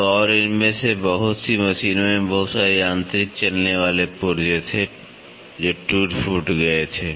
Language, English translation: Hindi, So, and lot of these machines had lot of mechanical moving parts which had wear and tear